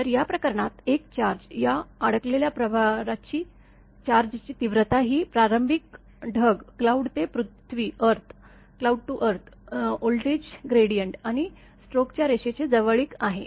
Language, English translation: Marathi, So, in this case; a charge, this thing the magnitude of this trapped charge is a function of initial cloud to earth voltage gradient and the closeness to the stroke to the line